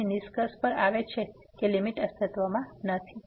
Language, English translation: Gujarati, So, that concludes that the limit does not exist